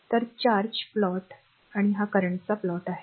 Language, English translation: Marathi, So, a plot of charge and this is the plot of current right